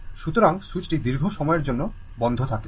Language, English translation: Bengali, So, as switch is closed for long time